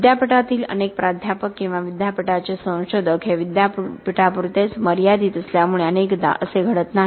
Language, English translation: Marathi, This often does not happen because lot of the university professors or the university researchers are confined to the university